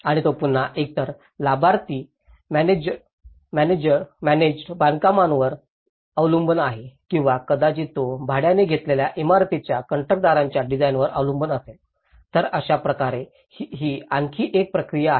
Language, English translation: Marathi, And he again relies on the either a beneficiary managed construction or it could be he relies on the designers of the building contractors who hire, so in that way, that is another process